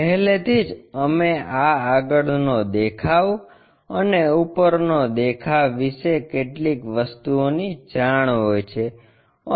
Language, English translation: Gujarati, Already, we might be knowing this front view and top few things